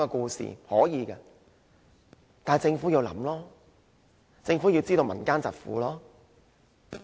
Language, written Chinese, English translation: Cantonese, 這是可以的，但政府要思考，要知道民間疾苦。, This is possible . Yet the Government has to think about it and understand the plights faced by the community